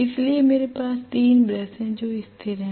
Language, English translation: Hindi, So I am going to have 3 brushes which are stationary